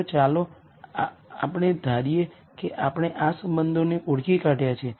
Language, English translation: Gujarati, So, let us assume that we have identified these relationships